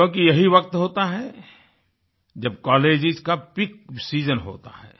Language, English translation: Hindi, This is the time which is Peak season for colleges